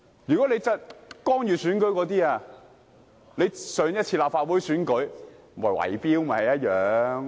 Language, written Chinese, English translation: Cantonese, 如果說干預選舉，上次立法會選舉不是圍標嗎？, Speaking of intervention in the election was the last Legislative Council Election not an act of bid - rigging?